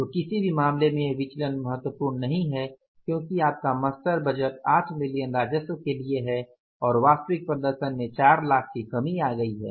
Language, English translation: Hindi, So, in any case this variance is not important because your master budget is for the 8 million worth of the revenue and the actual performance has come down by the 4 lakhs